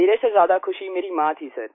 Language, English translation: Hindi, My mother was much happier than me, sir